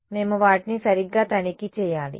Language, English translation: Telugu, We will check them exactly right